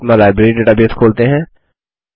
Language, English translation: Hindi, Lets open our Library database